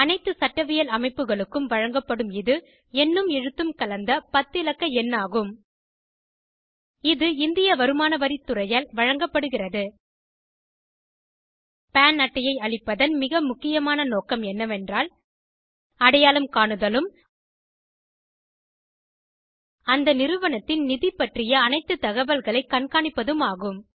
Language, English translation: Tamil, It is a ten digit alphanumeric combination issued to all juristic entities It is issued by the Indian Income Tax Department The most important purpose of allotting PAN card is For the purpose of identification and To track all the monetary information of that entity